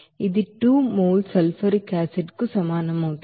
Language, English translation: Telugu, That will be equals to 2 mole of sulfuric acid